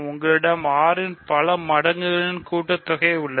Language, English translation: Tamil, So, everything is a multiple of 6